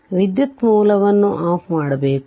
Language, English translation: Kannada, So, current source it should be turned off